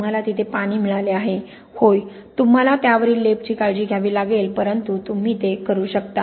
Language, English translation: Marathi, you have got water there”, yes you have to be careful about the coating on that but you can do it